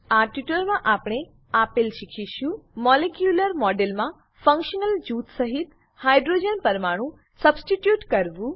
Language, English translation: Gujarati, In this tutorial, we will learn to, * Substitute hydrogen atom in a molecular model with a functional group